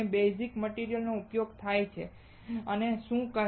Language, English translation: Gujarati, What is the base material that is used is called